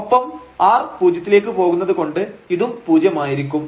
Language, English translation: Malayalam, So, when r goes to 0 this limit will be 0